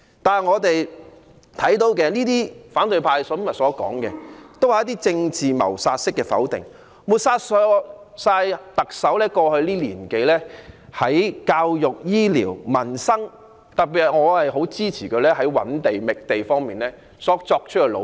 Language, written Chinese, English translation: Cantonese, 但是，我們聽到反對派今天所說的，均是一些政治謀殺式的否定，抹煞特首過去1年多在教育、醫療、民生等方面的工作——我特別認同她在覓地方面的努力。, However what we have heard the opposition camp utter today is nothing but dismissal tantamount to political murder to denigrate the work undertaken by the Chief Executive in respect of education health care peoples livelihood etc over the past year and more―I especially approve of her efforts in identifying land sites